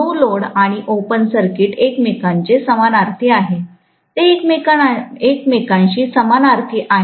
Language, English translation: Marathi, No load and open circuit are synonymous with each other, they are synonymous with each other, okay